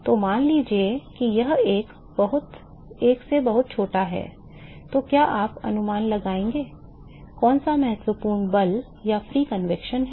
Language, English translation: Hindi, So, supposing if it is this much smaller than one what would you infer, which one is important force or free convection